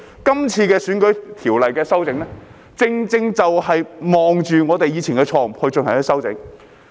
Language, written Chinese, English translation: Cantonese, 今次有關選舉條例的修訂，正正就是看着我們以往的錯誤進行修訂。, The amendments concerning the electoral legislation this time around rightly target the mistakes we have made in the past